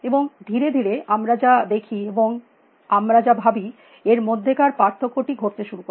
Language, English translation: Bengali, And gradually then that the distinction between what we see and what we think started happening